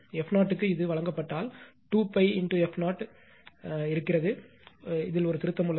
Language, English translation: Tamil, And you if your f 0 is given this one right 2 pi f 0 one thing is there, one correction is there